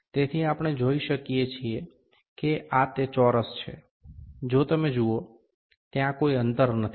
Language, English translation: Gujarati, So, we can see that is this square, if you see, ok, there is no gap